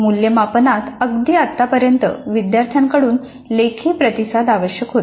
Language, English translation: Marathi, Assessment until recently required dominantly written responses from the students